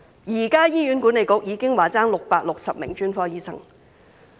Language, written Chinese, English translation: Cantonese, 醫管局現已表示欠缺660名專科醫生。, HA has already indicated a current shortage of 660 specialists